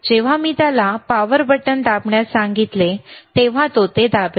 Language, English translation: Marathi, Wwhen I when I ask him to press power button, he will press it